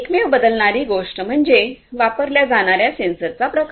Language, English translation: Marathi, So, the only thing that changes is basically the type of sensors that would be used